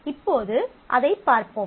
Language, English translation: Tamil, Now, let us see it